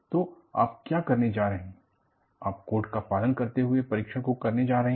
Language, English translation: Hindi, So, what you are going to do is, you are going to follow the code and perform this test